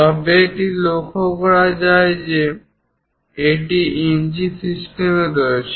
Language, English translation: Bengali, 5 then it should be noted that it is in inch system